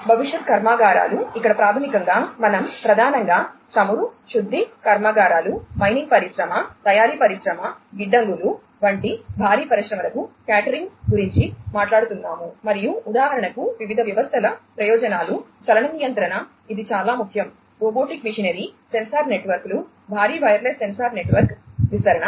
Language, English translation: Telugu, Factories of the future, here basically we are talking about catering to the heavy industries primarily such as you know oil refineries, mining industry, manufacturing industry, warehouses, and so on and the interests of the different systems for example, motion control this is very important, robotic machinery, sensor networks, massive wireless sensor network deployment